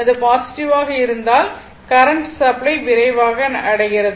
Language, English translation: Tamil, And if it is positive resultant current reach the supply voltage right